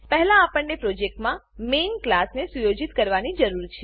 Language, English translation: Gujarati, First, we need to set the projects Main class